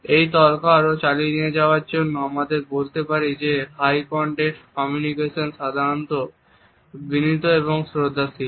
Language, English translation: Bengali, To continue this argument further, we can say that a high context communication is normally polite and respectful